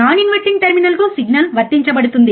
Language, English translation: Telugu, Signal is applied to the non inverting terminal